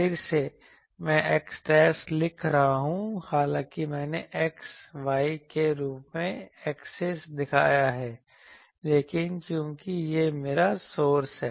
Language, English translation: Hindi, Again, I am writing x dashed though I have shown axis as x y, but since this is my source